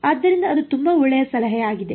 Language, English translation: Kannada, So, that is a very good suggestion